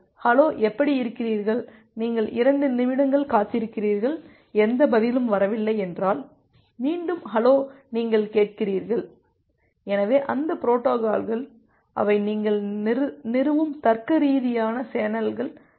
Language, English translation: Tamil, If you have said that hello how are you and you are waiting for some 2 minutes and no response is coming, then again you will say that hello are you hearing, so those are the protocols those are the kind of logical channels which you are establish establishing